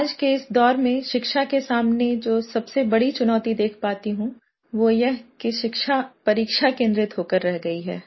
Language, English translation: Hindi, "Today what I see as the biggest challenge facing the education is that it has come to focus solely on examinations